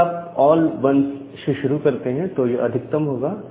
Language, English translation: Hindi, So, if you if you start with all 1s, then that is the maximum